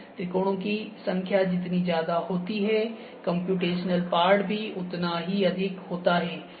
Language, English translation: Hindi, The number of triangles makes the more the number of triangles are more would be the computational part